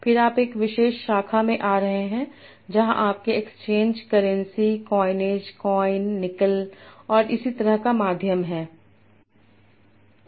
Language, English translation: Hindi, Then you are coming to a particular branch where you have medium of exchange, currency, coinage, coin, nickel and so on